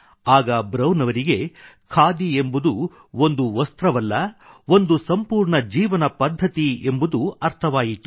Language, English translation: Kannada, It was then, that Brown realised that khadi was not just a cloth; it was a complete way of life